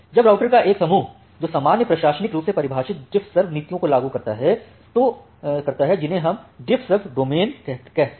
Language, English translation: Hindi, Now, a group of routers that implement a common administratively defined DiffServ policies they are referred to as a DiffServ domain